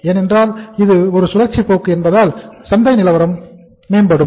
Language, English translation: Tamil, If the market improves then because it is a cyclical trend so market will improve